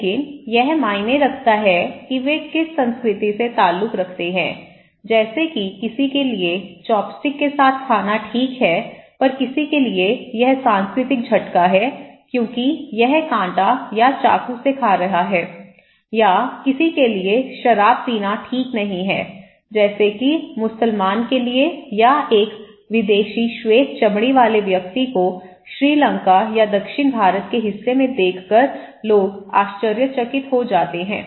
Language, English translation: Hindi, But which culture they belong that matter, for somebody is eating with chopstick, is okay for somebody it’s cultural shock because it is eating by fork or knife or for someone, it is like no alcohol, you should not drink alcohol, for Muslims example or a foreign white skinned person is seen in a part of Sri Lanka or South India, this people are so surprised to see this one